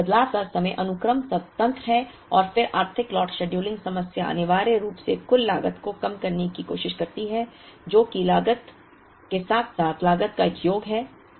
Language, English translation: Hindi, So, changeover times are sequence independent and then the Economic Lot scheduling problem essentially tries to minimize total cost which is a sum of order cost plus carrying cost